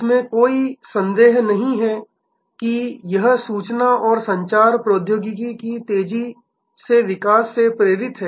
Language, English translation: Hindi, No doubt it has been driven by rapid growth of information and communication technology